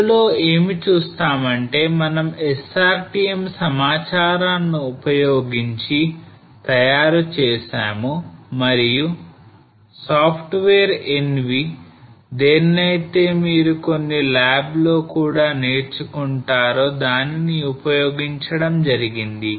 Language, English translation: Telugu, So what we see here is in this we prepare using SRTM data and using the software NV which you will also learn in some of the labs okay